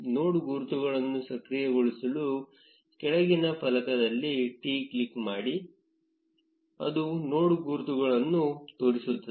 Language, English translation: Kannada, To enable the node labels click on T in the bottom panel which is show node labels